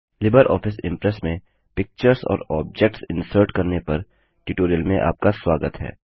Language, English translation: Hindi, Welcome to the Tutorial on LibreOffice Impress Inserting Pictures and Objects